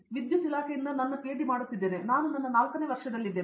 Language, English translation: Kannada, I am doing my PhD; I am in my 4th year I am from Electrical Department